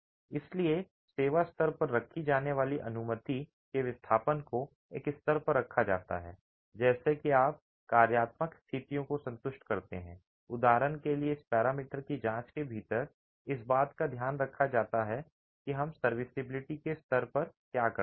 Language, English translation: Hindi, So the allowable displacements at the serviceability condition are kept to a level such that you satisfy functional conditions, deflections for example can be taken care of within this parameter check that we do at the serviceability levels